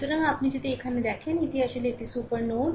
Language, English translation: Bengali, So, if you look here this is actually super node, right